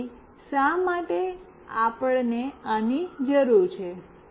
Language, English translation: Gujarati, So, why we are requiring this